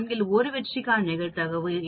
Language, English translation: Tamil, What is the probability for 1 success out of 4